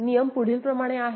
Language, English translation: Marathi, The rules are like this